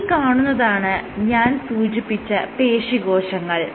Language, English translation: Malayalam, So, these are my muscle cells only right